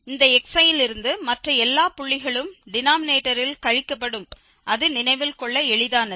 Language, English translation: Tamil, So, except that i from this xi all other points will be subtracted in the denominator that is what it is easy to remember